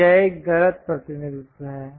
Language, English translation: Hindi, So, this is a wrong representation